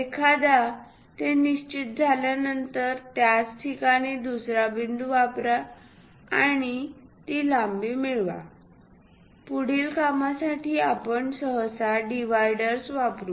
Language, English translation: Marathi, Once that is fixed, use another point at same location and transfer that length; further purpose, we usually go with dividers